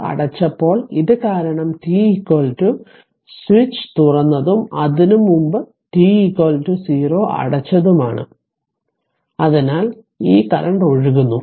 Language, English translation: Malayalam, When this this was closed right this was because t is equal to switch was open and t is equal to 0 before that it was closed, so this current i is flowing right